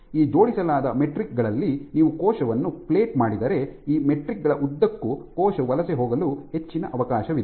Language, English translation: Kannada, If you plate a cell as I said that if you plate these cells on these aligned metrics it is there is greater chance of the cell will migrate along this